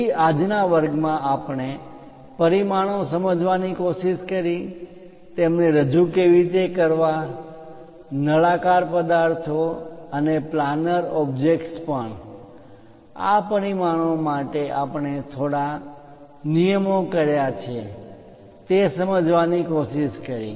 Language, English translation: Gujarati, So, in today's class, we tried to look at dimensions, how to represents them and for cylindrical objects and also planar objects, what are the few rules involved for this dimensioning we tried to look at